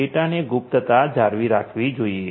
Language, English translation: Gujarati, The privacy of the data should be maintained